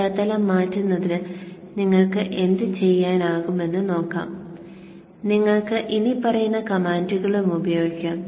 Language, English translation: Malayalam, So to change the background, what you could do, you could use the following commands